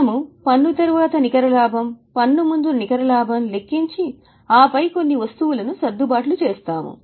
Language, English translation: Telugu, We calculate net profit after tax, net profit before tax and then do adjustments for certain items